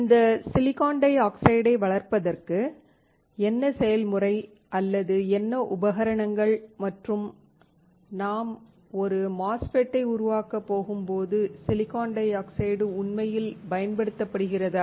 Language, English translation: Tamil, What is the process or what are the equipment used to grow this silicon dioxide and whether the silicon dioxide is actually used when we are going to fabricate a MOSFET